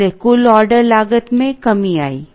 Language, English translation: Hindi, Therefore, total order cost came down